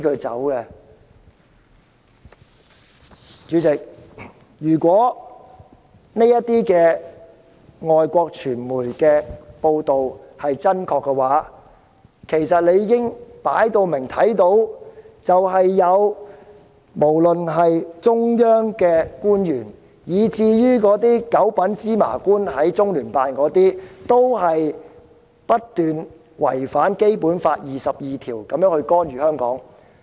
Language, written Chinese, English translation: Cantonese, 主席，如果這些外國傳媒的報道真確，其實大家理應看到，不論是中央官員或中聯辦的"九品芝麻官"，均不斷違反《基本法》第二十二條，干預香港事務。, She had dragged Hong Kong into a terrible state . She wanted to leave but Beijing would not let her go . President if these reports of the overseas media are true we should be able to see that be they officials in the Central Authorities or the petty officials in LOCPG they keep violating Article 22 of the Basic Law meddling in the affairs of Hong Kong